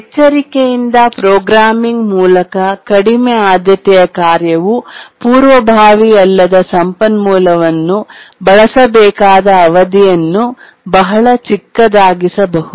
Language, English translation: Kannada, So, through careful programming, the duration for which a low priority task needs to use the non preemptible resource can be made very small